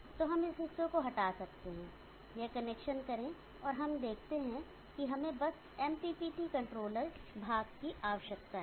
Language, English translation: Hindi, So we can remove that portion make this connection and we see that, we just need MPPT controller portion